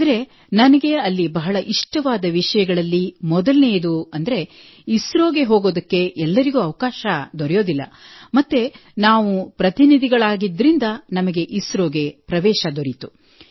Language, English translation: Kannada, But the best thing that struck me there, was that firstly no one gets a chance to go to ISRO and we being delegates, got this opportunity to go to ISRO